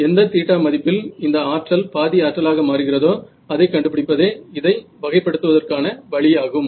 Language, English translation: Tamil, So, the way to characterize this is to find out that theta at which this becomes half the power is a power right